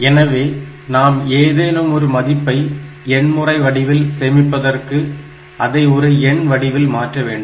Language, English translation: Tamil, So, for storing the any value in the form of a digital quantity we need have some numbers for storing them